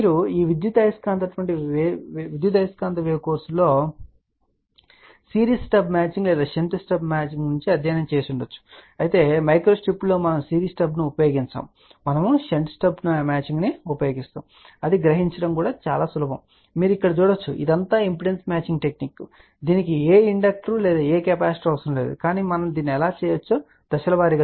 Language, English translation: Telugu, You might have studied in your electromagnetic wave course series stub matching or shunt stub matching, well in micro step we do not use series step we actually use a shunt stub matching also it is much easier to realize you can see here this is all the impedance matching technique is it does not require any inductor or any capacitor, but let us see step by step how we can do that